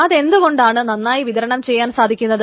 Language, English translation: Malayalam, Why it can be very easily distributed